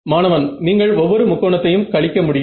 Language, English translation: Tamil, So, you can subtract each of a triangle